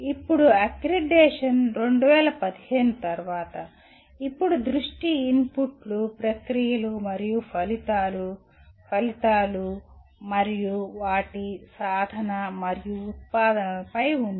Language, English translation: Telugu, Now, accreditation post 2015, the focus now is on inputs, processes and outcomes, outcomes and their attainment and outputs